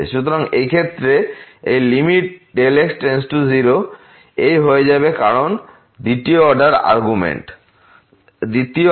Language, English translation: Bengali, So, in this case this limit delta to 0 this will become because the second argument is 0